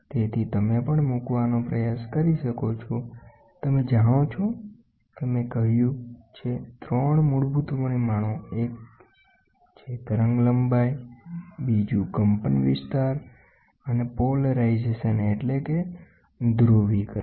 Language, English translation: Gujarati, So, now that you can also try to place, you know I have said 3 basic parameters, one is wavelength, amplitude and then you have the polarization